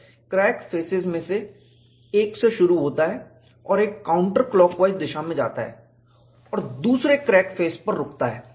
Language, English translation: Hindi, A J Integral starts from one of the crack faces and goes in a counter clockwise direction and stops at the other crack face